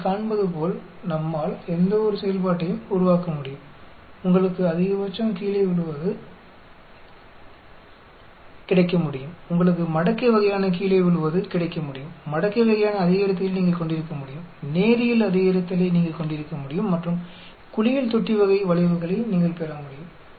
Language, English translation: Tamil, We can generate any type of function as you can see, you can get maxima going down, you can get exponentially sort of falling down, you can have exponentially rising, you can a linear rising and then you can get bath tub type of curves